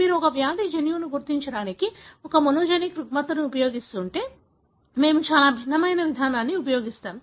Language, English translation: Telugu, If you are using a monogenic disorder to identify a disease gene, we use a very different kind of approach